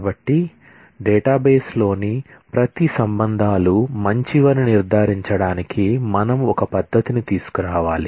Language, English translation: Telugu, So, we need to come up with a methodology to ensure that, each of the relations in the database is good